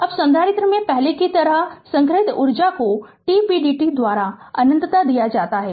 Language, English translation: Hindi, Now, the energy stored same as before in the capacitor is given by minus infinity to t p dt right